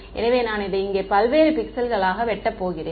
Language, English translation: Tamil, So, I am going to chop it up into various such pixels over here